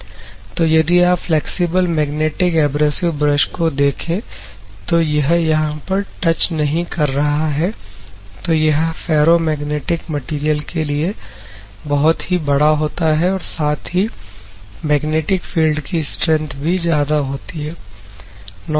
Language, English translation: Hindi, So, if you see the flexible magnetic abrasive brush this particular portion, for ferromagnetic material it is very big and magnetic field strength is very high